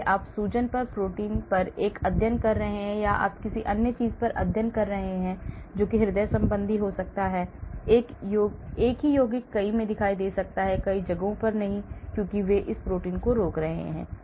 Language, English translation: Hindi, so you may be doing a study on proteins in the inflammation or you may be doing study on something else may be cardiovascular, the same compound may be appearing in many, many places not because they are inhibiting these protein